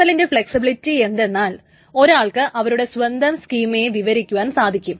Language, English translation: Malayalam, The flexibility of XML is that one can define the own schema and that can be part of the XML document